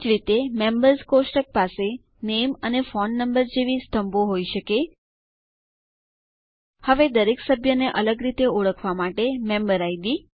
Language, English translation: Gujarati, Similarly, a Members table can have columns like Name and Phone, And a Member Id to uniquely identify or distinguish each member